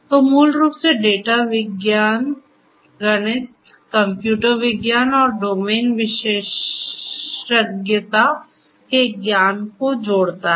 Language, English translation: Hindi, So, basically data science combines the knowledge from mathematics, computer science and domain expertise